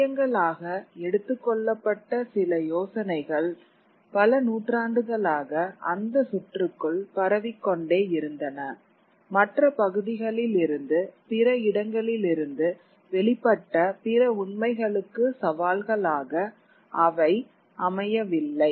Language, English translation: Tamil, It had certain ideas which were taken to be truths kept on circulating within that kind of a circuit round and round through the centuries and they were not open to challenge to other truths from other parts, other places